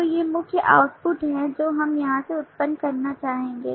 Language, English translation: Hindi, so these are the main output that we would like to generate from here